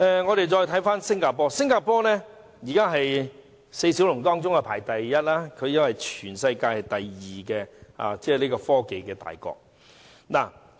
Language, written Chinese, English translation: Cantonese, 我們看看新加坡，新加坡如今在四小龍中排名第一，因為新加坡是全球第二大的科技大國。, Let us look at the case in Singapore . Singapore ranks the first among the Four Little Dragons this year for Singapore is the second major technology nation in the world